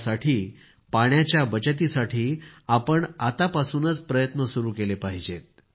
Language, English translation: Marathi, Hence, for the conservation of water, we should begin efforts right away